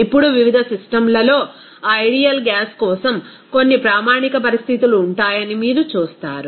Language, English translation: Telugu, Now, at different systems, you will see that there will be some standard conditions for that ideal gas